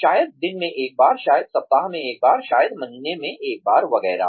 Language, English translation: Hindi, Maybe once a day, maybe once a week, maybe once a month, etcetera